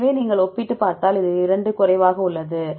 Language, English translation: Tamil, So, if you compare these 2 this is less